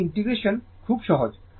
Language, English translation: Bengali, This integration is very simple